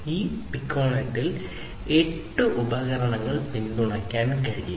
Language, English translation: Malayalam, So, within a Piconet you have 8 devices that can be supported, right